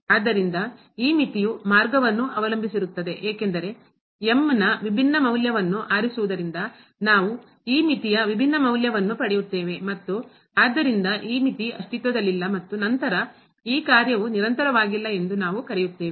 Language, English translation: Kannada, So, this limit depends on path because choosing different value of we will get a different value of this limit and hence this limit does not exist and then again we will call that this function is not continuous